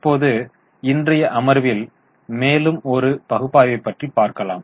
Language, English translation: Tamil, Now let us go to one more analysis in today's session